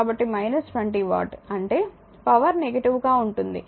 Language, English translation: Telugu, So, minus 20 watt; that means, power is negative